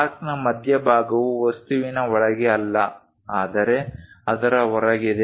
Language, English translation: Kannada, The center of the arc is not somewhere inside the object somewhere outside